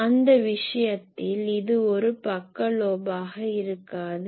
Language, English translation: Tamil, So, in that case this would not be a side lobe